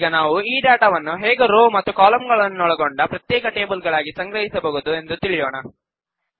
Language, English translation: Kannada, Now let us see, how we can store this data as individual tables of rows and columns